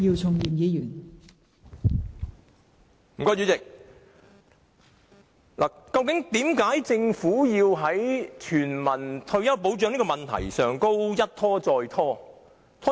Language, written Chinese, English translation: Cantonese, 代理主席，為何政府在落實全民退休保障的問題上一拖再拖呢？, Deputy President why does the Government keep delaying on the matter of implementing universal retirement protection?